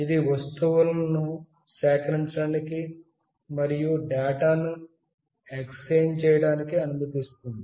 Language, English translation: Telugu, It enables the objects to collect and as well as exchange data